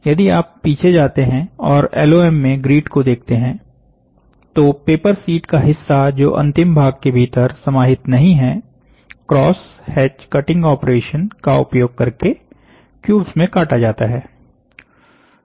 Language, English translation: Hindi, So, if you go back and look into the grid in LOM, the portion of the paper sheet, which is not contained within the final part is sliced into cubes of material, using a cross hatch cutting operation ok